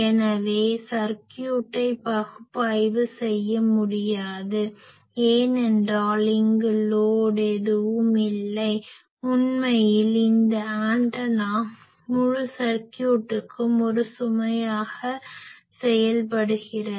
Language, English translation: Tamil, So, we cannot analyze the circuit, because there is no load seen here, actually this antenna is behaving as a load to this whole circuits